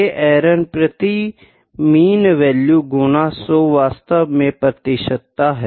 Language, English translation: Hindi, It is error per unit mean value into 100, this is actually percentage